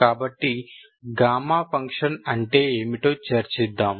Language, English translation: Telugu, So this is your property of gamma function